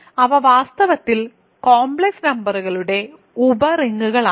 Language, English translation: Malayalam, So, they are in fact, sub rings of complex numbers